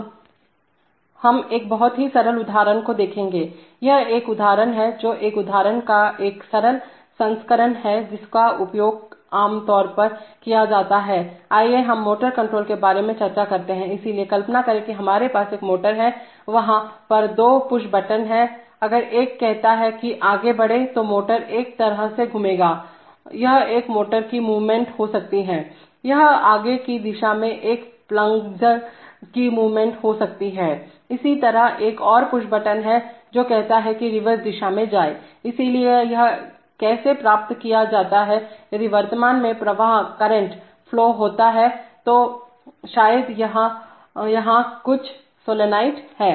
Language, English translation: Hindi, We will look at a very simple example, this is an example which is, it is a simple version of an example, which is used typically for, let us say motor control, so imagine that we have a motor and we want to, there are, there are two push buttons, one says go forward, so the motor will rotate in one way, it could be a movement of a motor, it could be a move movement of a plunger in the forward direction, similarly there is another push button which says go in the reverse direction, so how is this achieved, this typically achieved by, if current flows in, so maybe there is some solenoid somewhere